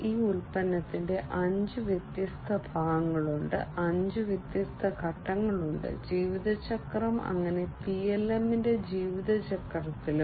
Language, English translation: Malayalam, And there are five different parts, five different phases in this product lifecycle so in the lifecycle of PLM